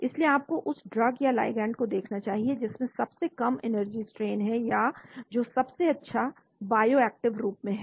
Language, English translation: Hindi, so you should look at the drug or the ligand which has the lowest energy strain or in the form of best bioactive form